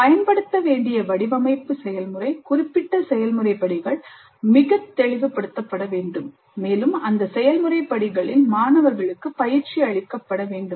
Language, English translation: Tamil, And the design process to be used, the specific process steps need to be made very clear and students must be trained in those process steps